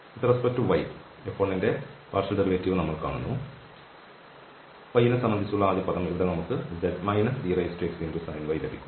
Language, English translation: Malayalam, So, if we conclude the partial derivative of F 1 with respect to y then so, the first term will here with respect to y we will get minus e power x sine y and plus z